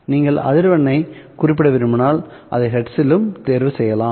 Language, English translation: Tamil, If you want to specify frequency, you are free to choose that frequency in hertz as well